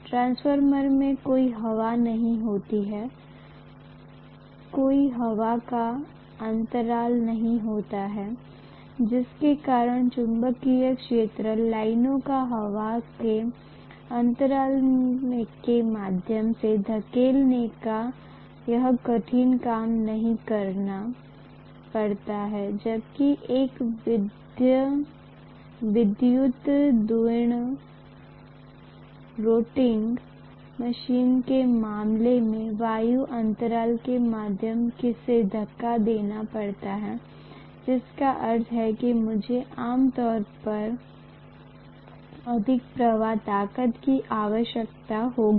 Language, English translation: Hindi, In the transformer, there is no air, there is no air gap because of which, I do not have to do this tough job of pushing the magnetic field lines through the air gap whereas in the case of an electrical rotating machine I have to push it through the air gap which means I will require more strength of the current generally